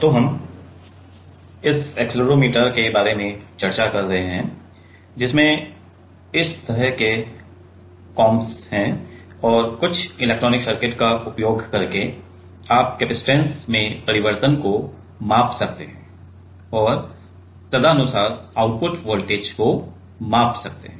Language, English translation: Hindi, So, we are discussing about this Accelerometer, which is having like this kind of combs and using some electronic circuit, you can measure the change in the capacitance and can accordingly measure the output voltage